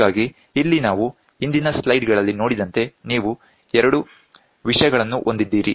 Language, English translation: Kannada, So, here what happens is like we saw in the previous slides also, you have two things